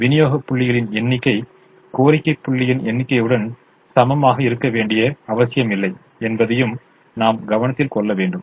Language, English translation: Tamil, we should also note that it is not necessary that the number of supply points should be equal to the number of demand points